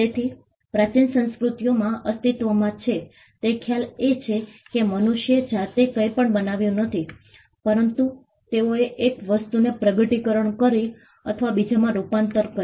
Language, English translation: Gujarati, So, the concept that existed in ancient cultures was the fact that human beings did not create anything on their own rather they discovered or converted 1 form of thing to another